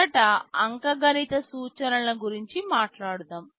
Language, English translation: Telugu, First let us talk about the arithmetic instructions